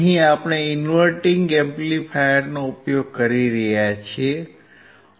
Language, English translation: Gujarati, Here we are using inverting amplifier